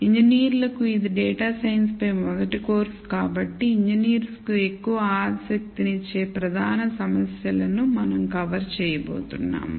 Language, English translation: Telugu, Since this is a first course on data science for engineers we going to cover major categories of problems that are of most interest to engineers